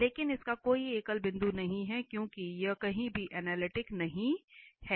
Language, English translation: Hindi, But this does not have a singular point, so it has no singular point since it is nowhere analytic